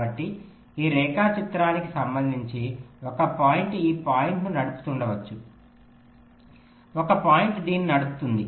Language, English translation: Telugu, so, with respect to this diagram, maybe one point is driving this point, one point is driving this